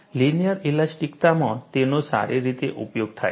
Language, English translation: Gujarati, That is well utilized in linear elasticity